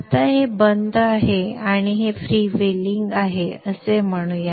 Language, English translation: Marathi, Now when let us say this is off and this is freewheeling